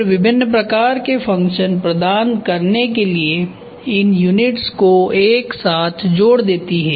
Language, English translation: Hindi, Then connecting the units together to provide a variety of functions